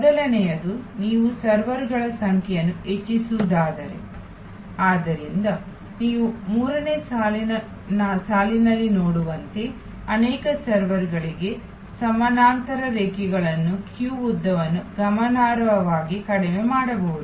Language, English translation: Kannada, The first of course is that, if you can increase the number of serversů So, as you can see in the third line, parallel lines to multiple servers the queue length can be significantly brought down